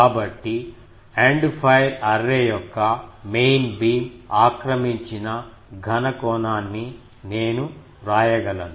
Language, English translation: Telugu, So, I can write solid angle occupied by the main beam of the End fire array will be these